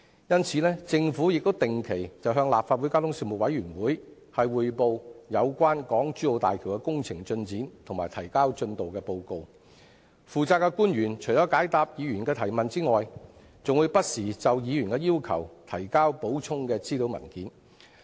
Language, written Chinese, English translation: Cantonese, 因此，政府定期向立法會交通事務委員會匯報港珠澳大橋的工程進展及提交進度報告，負責的官員除了解答議員的提問之外，還會不時應議員的要求，提交補充資料文件。, Therefore the Government has reported regularly to the Panel on Transport of the Legislative Council and submitted reports on the progress of the HZMB project . The officials in charge have not only answered the questions raised by Members but also provided supplementary papers at the request of Members from time to time